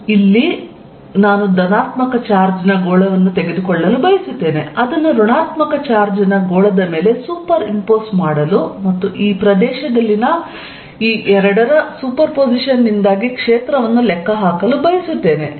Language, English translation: Kannada, Next example I want to take we will use Gauss’s law and in this I want to take a positively charge sphere superimpose it on a negatively charge sphere and calculate the field due to this superposition of these two in this region, where they overlap